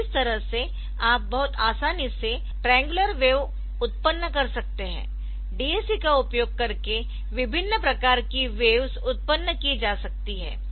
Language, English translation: Hindi, So, that is why you can very easily generate a triangular wave also, different type of waves can be gen generated using the DAC